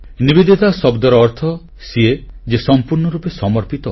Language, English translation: Odia, And Nivedita means the one who is fully dedicated